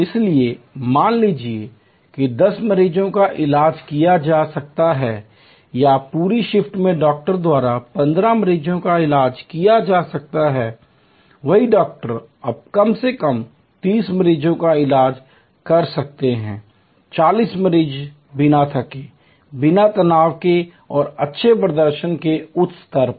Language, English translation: Hindi, So, as suppose to 10 patients who could be treated or 15 patients by a doctor in the whole shift, the same doctor could now atleast treat may be 30 patients, 40 patients without fatigue, without stress and at a higher level of good performance